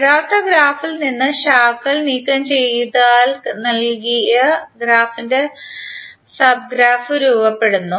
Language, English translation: Malayalam, So if you remove one branch, like this if you remove it will become sub graph of the original graph